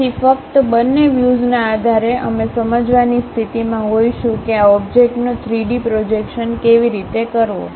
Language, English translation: Gujarati, So, based on both the views only, we will be in a position to understand how the three dimensional projection of this object